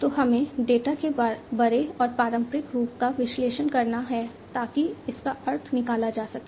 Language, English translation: Hindi, So, we have to analyze the big and the traditional forms of data, and you know, try to gather meaning out of it